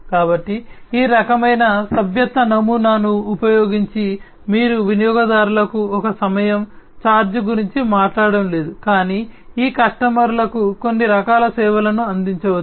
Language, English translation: Telugu, So, using this kind of subscription model, you are not talking about is one time kind of charge to the customers, but these customers can be offered some kind of services